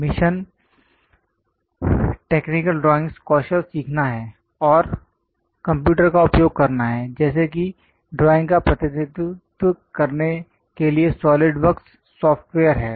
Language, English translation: Hindi, The mission is to learn technical drawing skills and also use computers for example, a SOLIDWORKS software to represent drawings